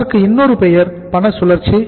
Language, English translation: Tamil, The other name is cash cycle